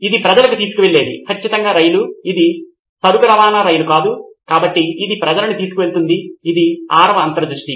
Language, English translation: Telugu, The sixth one it carries people yes train for sure, it is not freight train because it carries people, this is the sixth insight